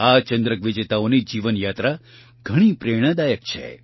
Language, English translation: Gujarati, The life journey of these medal winners has been quite inspiring